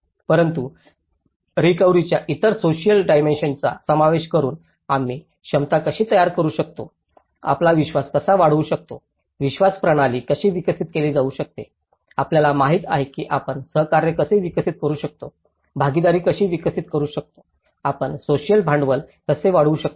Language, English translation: Marathi, But in a more complete sense incorporating other social dimensions of recovery, how we can build the capacities, how we can build trust, how we can develop the belief systems, you know, how we can develop cooperation, how we can develop the partnership, how we can enhance the social capital